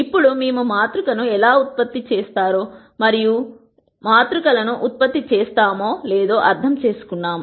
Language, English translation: Telugu, Now that we have understood how we generate a matrix and why we gen erate matrices